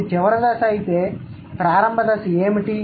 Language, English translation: Telugu, If this is the final stage, what was the initial stage